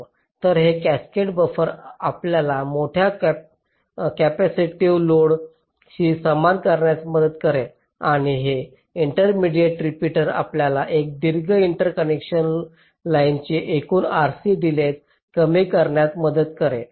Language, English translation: Marathi, so these cascaded buffers will help you in tackling the large capacitive loads and this intermediate repeaters help you in reducing the total r c delay of this long interconnection line, because this can be a long interconnect